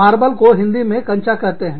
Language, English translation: Hindi, Marble is in Hindi, is called Kanchaa